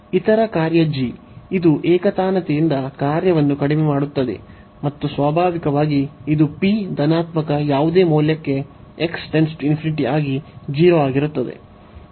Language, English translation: Kannada, The other function g, which is monotonically decreasing function and naturally this tends to 0 as x tends infinity for any value of p positive